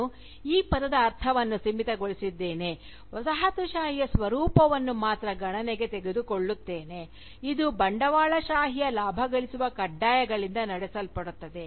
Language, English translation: Kannada, And, I had limited the meaning of the term, to only take into account, that form of Colonialism, which is driven by the profit making imperatives of Capitalism